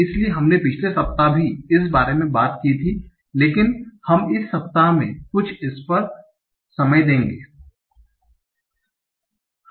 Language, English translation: Hindi, So we had talked about it in the last week also, but we will devote some time over that in this week